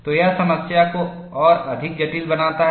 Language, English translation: Hindi, So, that makes the problem much more complex